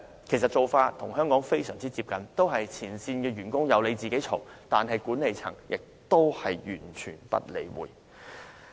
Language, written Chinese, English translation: Cantonese, 其做法與香港非常接近，都是只有前線員工投訴，管理層同樣完全不理會。, Probably their practice is similar to Hong Kongs in which the management in the world simply ignores complaints from frontline controllers